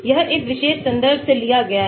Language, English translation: Hindi, this is taken from this particular reference